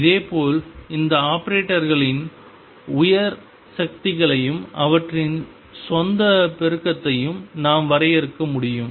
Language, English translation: Tamil, And similarly we can define higher powers of these operators and also their own multiplication